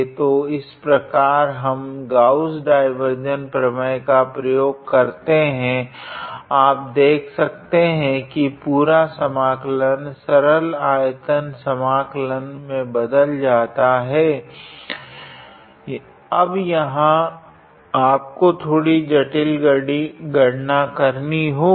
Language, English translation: Hindi, So, this is how we just using the Gauss divergence theorem, you see the whole integral is simplified to a simple volume integral where of course, now here you have to do some complicated calculation a slightly complicated